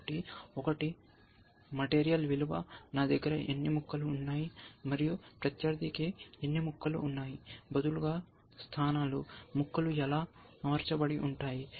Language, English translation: Telugu, So, one is the material value, how many pieces I have, and how many pieces opponent has, rather is positional, we says, how are the pieces arranged